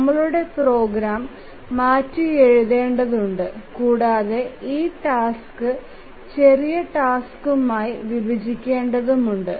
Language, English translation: Malayalam, We need to bit of rewrite our program and we need to split this task into smaller tasks